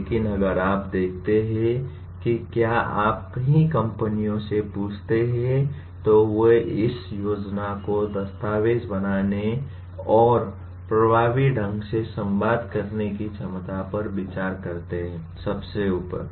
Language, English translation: Hindi, But if you look at if you ask many companies, they consider this ability to document plan and communicate effectively fairly at the top